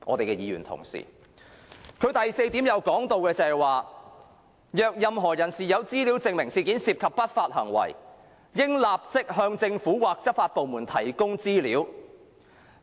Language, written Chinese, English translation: Cantonese, 該聲明第四點提到："若任何人士有資料證明事件涉及不法行為，應立即向政府或執法部門提供資料。, Point four of the statement reads Anyone with information that proves that illegal activities are involved in the incident should immediately provide the information to the Government or law enforcement agencies